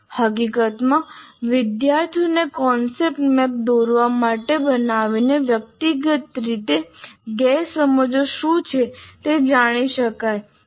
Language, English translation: Gujarati, In fact, making students to draw a concept map, one can find out what are the misunderstandings of the individual